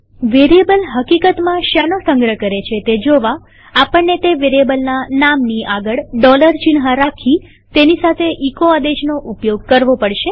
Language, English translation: Gujarati, To see what a variable actually stores we have to prefix a dollar sign to the name of that variable and use the echo command along with it